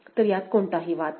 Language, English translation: Marathi, So, there is no conflict, right